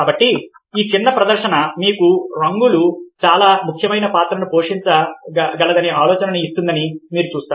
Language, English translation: Telugu, so you see that ah, this small demonstration hopefully give you an idea that ah colours can play a very significant role